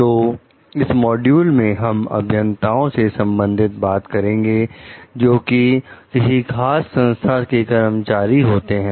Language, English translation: Hindi, So, in this module, we are going to discuss related to like engineers, who are like employees of particular organizations